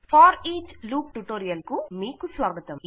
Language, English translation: Telugu, Welcome to the FOREACH loop tutorial